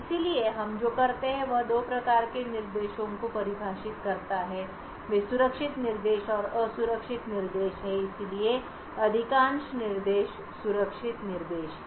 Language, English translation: Hindi, So, what we do is we define two types of instructions they are the safe instructions and the unsafe instructions, so most of the instructions are safe instructions